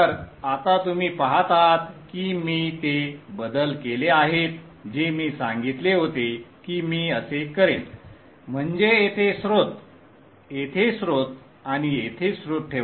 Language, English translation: Marathi, So now you see I have made the changes which I said I would do which is to put a source here a source here and a source here